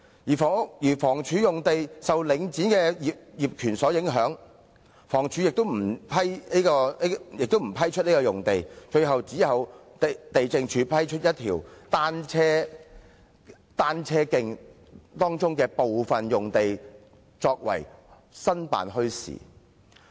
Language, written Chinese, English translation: Cantonese, 此外，房屋署的用地受領展業權所影響，亦不批出用地，最終只有地政總署批出一條單車徑當中的部分用地用作營辦墟市用途。, Moreover as lands of the Housing Department are affected by the ownership of Link REIT approval was not granted . Finally only the Lands Department granted part of the land along a cycling route to set up a bazaar